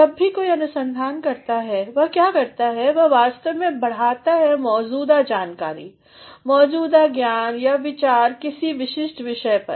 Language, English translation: Hindi, Whenever somebody does research, what he or she does he actually adds to the existing data, the existing information the existing knowledge or ideas on a particular topic